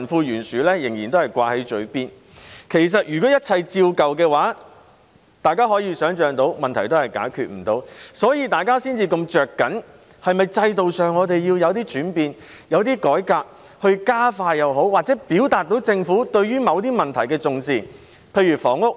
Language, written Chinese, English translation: Cantonese, 如果一切照舊的話，大家可以想象到，問題是不能解決的，所以大家才這麼着緊政府是否要在制度上作出轉變、改革，以加快或者......以表現出政府對某些問題的重視。, If everything remains the same as before we can imagine that it is impossible to solve any problem and that is why we are so concerned whether it is necessary for the Government to change or reform its system so as to expedite or to show that it takes certain problems seriously